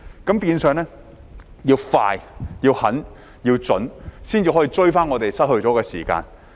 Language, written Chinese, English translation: Cantonese, 換言之，要快、狠、準，才能追回我們失去的時間。, In other words the only way to recover the time we lost is to take quick vigorous and targeted action